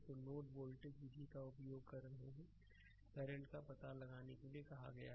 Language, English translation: Hindi, So, you are using the node voltage method, you have been asked to find out the current